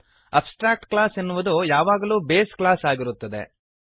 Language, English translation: Kannada, Abstract class is always a base class